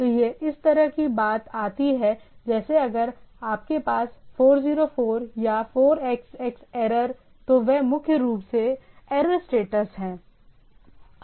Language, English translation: Hindi, So it comes to the thing like if you had 404 or 4xx error, those are primarily error status